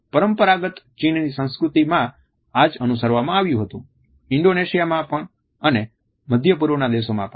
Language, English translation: Gujarati, The same was followed in conventional Chinese culture also in Indonesia in countries of the Middle East also